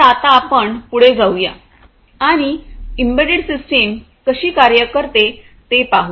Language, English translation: Marathi, So, now let us move forward and see how an embedded system works